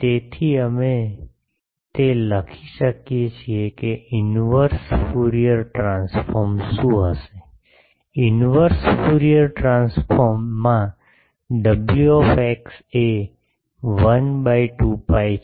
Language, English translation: Gujarati, So, we can write that what will be the inverse Fourier transform; in a inverse Fourier transform will be wx is 1 by 2 pi